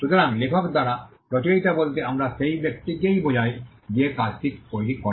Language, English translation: Bengali, So, author by author we mean the person who creates the work